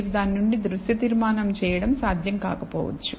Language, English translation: Telugu, And it may not be possible for you to make a visual conclusion from that